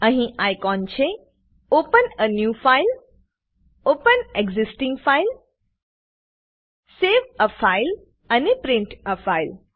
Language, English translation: Gujarati, There are icons to open a New file, Open existing file, Save a file and Print a file